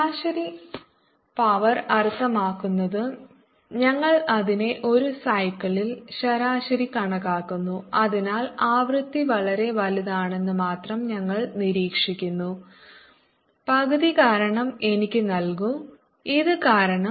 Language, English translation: Malayalam, by average power mean we average it over cycle, so that we only observe that the frequency, very large, give me a factor of half because of this